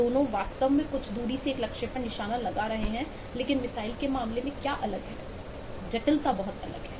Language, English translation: Hindi, both are actually hitting a target over a distance, but what is different in case of missile is the complexity is very different